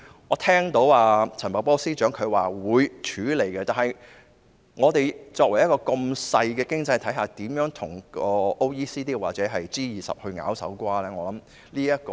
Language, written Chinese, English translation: Cantonese, 我聽到陳茂波司長說會處理這個問題，但香港這個如此細小的經濟體系，怎樣與 OECD 或 G20 角力呢？, I heard Secretary Paul CHAN say that this matter will be dealt with . However how can such a small economy like Hong Kong wrestle with OECD or G20?